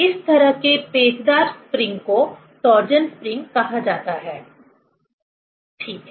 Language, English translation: Hindi, This kind of spiral spring is called torsion spring, ok